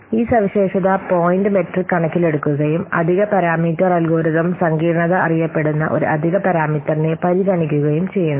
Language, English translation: Malayalam, So this feature point metric, it takes in account an extra parameter, it considers an extra parameter that is known as algorithm complexity